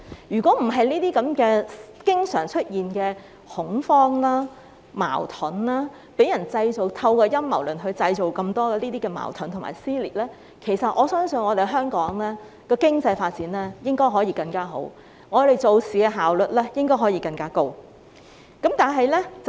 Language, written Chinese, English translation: Cantonese, 如果沒有這些經常出現的恐慌、矛盾，沒有陰謀論造成那麼多的矛盾和撕裂的話，我相信香港經濟應該可以發展得更好，而我們做事的效率應該可以更高。, If there were no such panic and conflicts which have arisen so frequently and there were no conspiracy theories to cause so many conflicts and dissensions I believe that the economy of Hong Kong should have developed far better and we should be able to get things done more efficiently